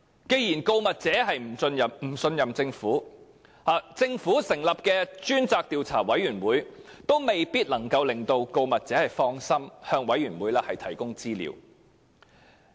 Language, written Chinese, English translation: Cantonese, 既然告密者不信任政府，政府成立的獨立調查委員會也未必能夠令告密者放心向其提供資料。, As the whistle - blower does not trust the Government the independent Commission of Inquiry set up by the Government may not be able to reassure the whistle - blower that he can divulge information to it with peace of mind